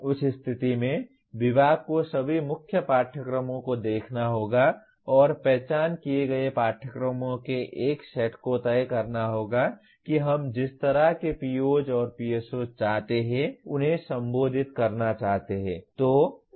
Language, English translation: Hindi, In that case, the department will have to look at all the core courses and decide a set of identified courses will have to address our the whatever we want the kind of POs and PSOs we want to address